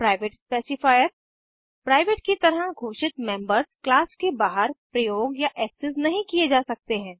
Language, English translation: Hindi, Private specifier The members declared as private cannot be used or accessed outside the class